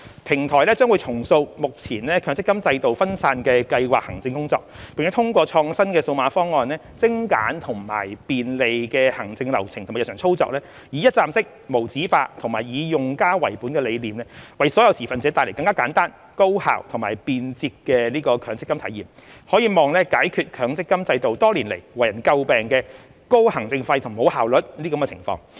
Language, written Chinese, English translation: Cantonese, 平台將重塑目前強積金制度分散的計劃行政工作，並通過創新的數碼方案精簡和便利的行政流程和日常操作，以一站式、無紙化及以用家為本的理念，為所有持份者帶來更簡單、高效及便捷的強積金體驗，可望解決強積金制度多年來為人詬病的"高行政費及無效率"的情況。, The platform will reshape the current fragmented scheme administration work under the MPF system and streamline and facilitate the administration workflow and daily operations through innovative digital solutions bringing a simpler more efficient and convenient MPF experience to all stakeholders under a one - stop paperless and user - oriented concept . It is hoped that this will resolve the problems of high administration fees and inefficiency for which the MPF system have been criticized over the years